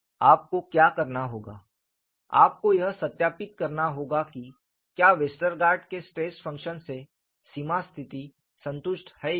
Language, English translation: Hindi, What you will have to do is, you will have to verify whether the boundary conditions are satisfied by the Westergaard’s stress function; in fact, you have already got the solution